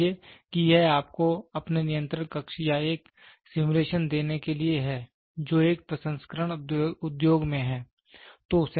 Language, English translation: Hindi, Suppose this is just to give you a simulation of your control room which is there in a processing industry